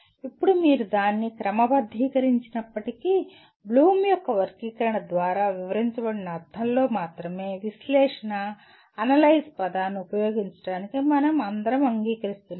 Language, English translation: Telugu, Now even if you sort that out let us say we all agree to use the word analyze only in the sense that is described by Bloom’s taxonomy